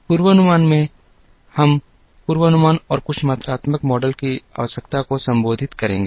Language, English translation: Hindi, In forecasting, we will be addressing a need for forecasting and some quantitative models